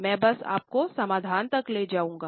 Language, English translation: Hindi, I will just take you to the solution